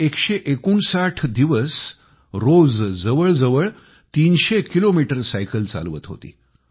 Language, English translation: Marathi, She rode for 159 days, covering around 300 kilometres every day